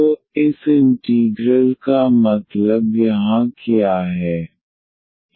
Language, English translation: Hindi, So, what this integral means here